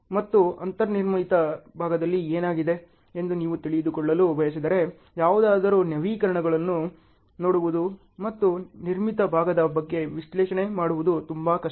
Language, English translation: Kannada, And if you want to know what has happened in the as built portion, then it is very difficult for somebody to look at the updates and do analysis on the as built portion ok